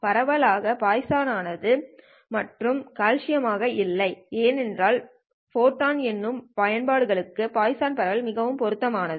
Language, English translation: Tamil, The distribution is poison and not a Gaussian distribution because poison distribution is well suited for photon counting applications and this is something that actually ties up to that one